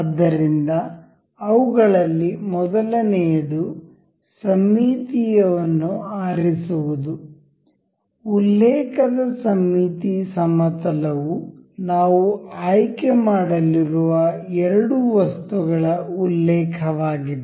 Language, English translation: Kannada, So, first one of them is to select the symmetric; the symmetry plane of reference that that would be the reference for the two items that we will be selecting